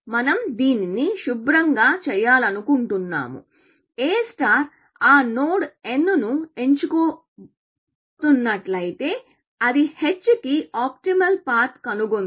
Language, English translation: Telugu, We want to make this clean that if A star is about to pick that node n, it must have found that optimal path to n